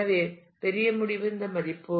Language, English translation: Tamil, So, larger the end smaller is this value